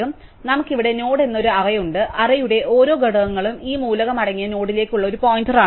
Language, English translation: Malayalam, So, we have an array called node here and each element of the array is a pointer to the node containing that element